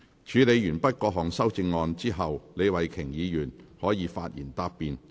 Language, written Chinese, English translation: Cantonese, 處理完畢各項修正案後，李慧琼議員可發言答辯。, After the amendments have been dealt with Ms Starry LEE may reply